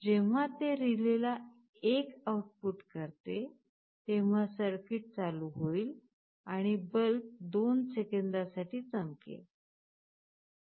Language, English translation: Marathi, When it outputs 1 to relay, the circuit will be switched ON and the bulb will glow for 2 seconds